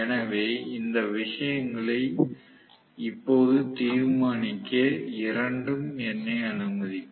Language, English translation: Tamil, So, both will allow me to decide these things now